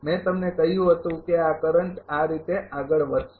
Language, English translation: Gujarati, I told you this current will be moving like this